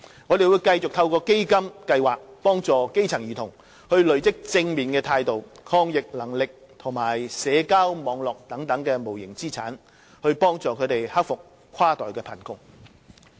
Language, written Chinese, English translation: Cantonese, 我們會繼續透過基金計劃幫助基層兒童累積正面態度、抗逆能力及社交網絡等無形資產，幫助他們克服跨代貧窮。, We will continue to help grass - roots children accumulate such intangible assets as positive attitudes resilience and social networks through the programmes under CEF in an effort to help them overcome inter - generational poverty